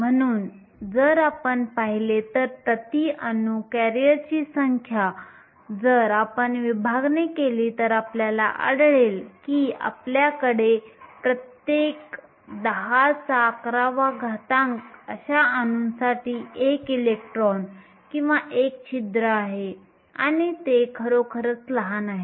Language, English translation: Marathi, So, if you look at it, the number of careers per atom, if you do the division you will find that you have 1 electron or 1 hole for every 10 to the 11 atoms and this turns out be really small